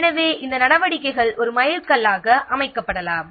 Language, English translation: Tamil, So, these are few examples of milestones